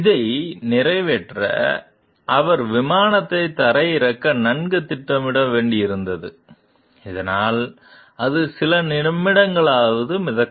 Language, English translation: Tamil, To accomplish this he had to maneuver the plane so that it would float for at least few minutes